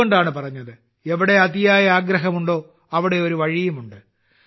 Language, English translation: Malayalam, That's why it is said where there is a will, there is a way